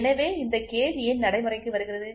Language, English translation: Tamil, So, why is this gauge coming into existence